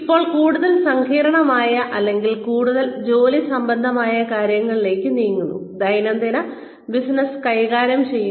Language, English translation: Malayalam, Now, moving on to more complicated, or more work related stuff, handling day to day business